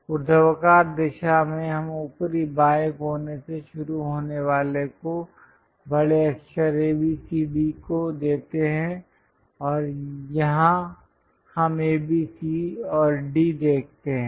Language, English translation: Hindi, In the vertical direction we give capital letters A B C D starting with top left corner and here also we see A B C and D